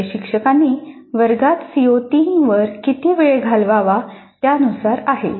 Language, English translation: Marathi, This is relative to the amount of time the instructor has spent on CO3 in the classroom